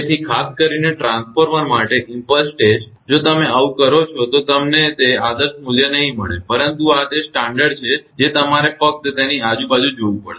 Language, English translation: Gujarati, So, particularly for transformer impulse test if you do so, you may not get that ideal value, but this is the standard you have to see around that only